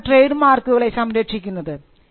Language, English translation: Malayalam, Now, why should we protect trademarks